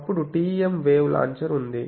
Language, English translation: Telugu, So, then there is a TEM wave launcher